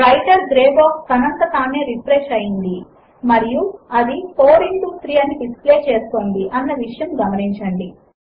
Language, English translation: Telugu, Notice that the Writer gray box has refreshed automatically and it displays 4 into 3